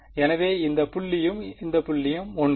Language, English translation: Tamil, So, this point and this point is the same